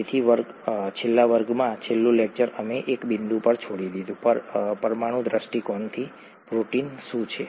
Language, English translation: Gujarati, So in the last class, last lecture we left at a point, from a molecular viewpoint, what is a protein